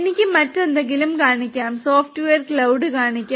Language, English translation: Malayalam, We can I can show you something else, I can show you the software cloud